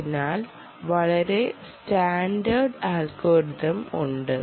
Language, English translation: Malayalam, so there are some very standard algorithms